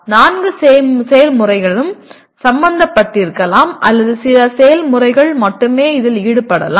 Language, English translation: Tamil, All the four processes may be involved or only some processes are involved